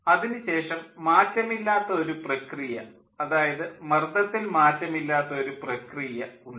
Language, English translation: Malayalam, after that there is a constant process, a constant pressure process